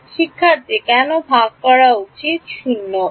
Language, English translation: Bengali, Why could the shared edge v will become 0